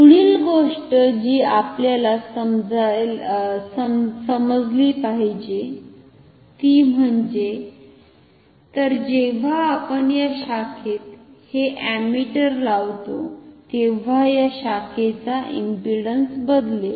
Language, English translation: Marathi, So, when we insert this ammeter in this branch the impedance of this branch will change